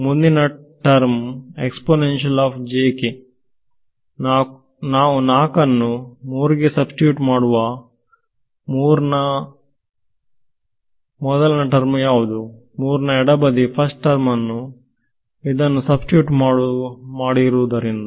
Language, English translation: Kannada, So, I am asking you what is the first term of 3 left hand side of 3 first term having substituted this